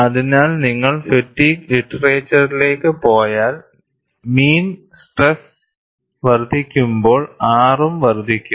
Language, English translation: Malayalam, So, if you go to fatigue literature, when the mean stress increases, R also would increase